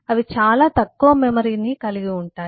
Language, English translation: Telugu, they have small memory to use and off